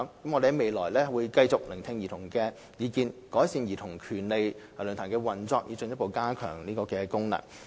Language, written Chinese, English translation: Cantonese, 我們在未來會繼續聆聽兒童的意見，改善論壇的運作，以進一步加強其功能。, In the future we will continue to pay heed to childrens views in a bid to improve the Forums operation and further enhance its functions